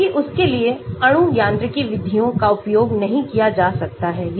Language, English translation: Hindi, Whereas molecule mechanics methods cannot be used for that